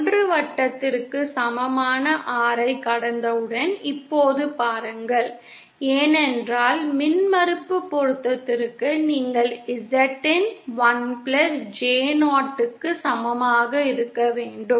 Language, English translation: Tamil, Now see once you cross the R equal to 1 circle because for impedance matching you have to have Z in is equal to 1 plus J 0